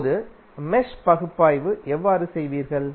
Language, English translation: Tamil, Now, how you will do the mesh analysis